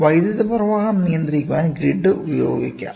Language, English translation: Malayalam, The grid can be used to control the flow of current